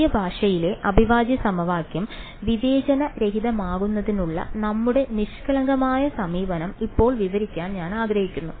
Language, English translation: Malayalam, Now I want to describe our naive approach that we did of discretizing the integral equation in the new language